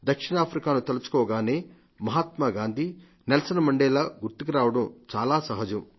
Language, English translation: Telugu, When we think of South Africa, it is very natural to remember Mahatma Gandhi and Nelson Mandela